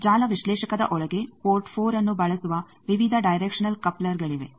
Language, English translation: Kannada, In network analyzer inside there are various directional couplers they use port 4